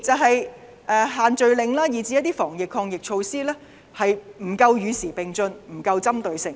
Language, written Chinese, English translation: Cantonese, 第二，限聚令以至一些防疫抗疫措施，不能與時並進及針對性不足。, Second the social gathering ban and certain anti - pandemic measures have not advanced with time and they often missed the targets